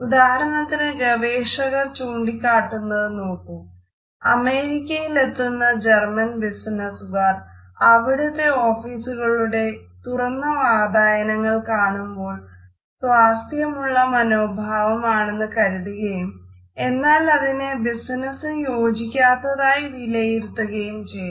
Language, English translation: Malayalam, For example, researchers have found that German business people visiting the US often look at the open doors in offices and business houses as an indication of a relaxed attitude which is even almost unbusiness like